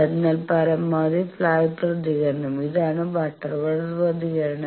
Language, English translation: Malayalam, And the response you get very flat like this also this is butterworth response